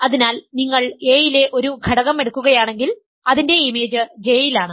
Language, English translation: Malayalam, So, if you take an element in A its image is in J is in B